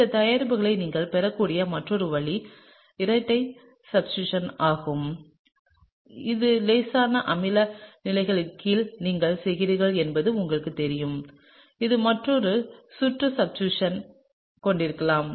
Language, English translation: Tamil, The other way in which you can get this product is through double substitution, which is you know if you are doing it under mildly acidic conditions it’s possible to have another round of substitution, right